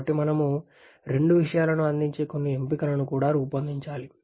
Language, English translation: Telugu, So we also have to devise some option which gives us both things